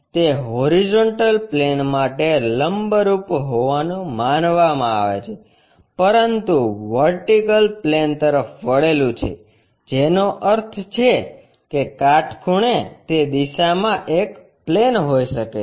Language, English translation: Gujarati, It is supposed to be perpendicular to horizontal plane, but inclined to vertical plane that means, perpendicular, it can be a plane in that direction